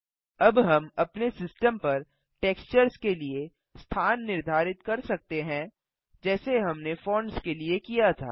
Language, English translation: Hindi, Now we can set the location for the textures on our system like we did for the fonts